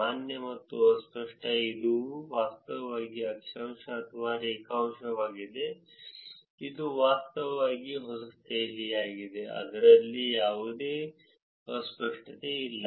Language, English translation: Kannada, Valid and ambiguous it is actually latitude or longitudinal, it is actually New Delhi; there is no ambiguity in it